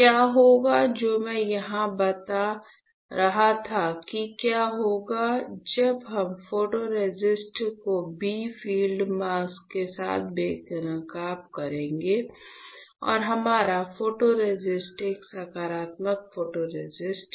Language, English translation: Hindi, So, what I was telling you here is that what will happen when we expose the photoresist with a bright field mask and our photoresist is a positive photoresist